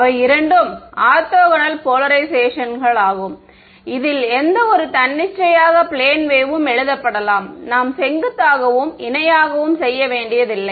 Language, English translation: Tamil, Those are also two orthogonal polarizations into which any arbitrary plane wave could be written I need not do perpendicular and parallel not exactly right